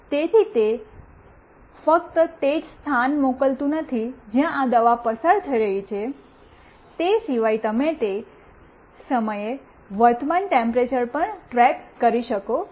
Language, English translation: Gujarati, So, it is not only sending the location where this medicine is going through, you can also track apart from that what is the current temperature during that time etc